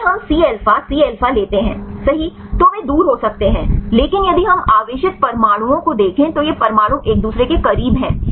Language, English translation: Hindi, If we take the C alpha – C alpha, right they may be far, but if we see the charged atoms these atoms are close to each other